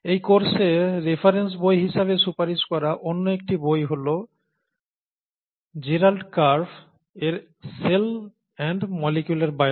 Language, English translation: Bengali, Another book that is also recommended as a reference book for this course is “Cell and Molecular Biology” by Gerald Karp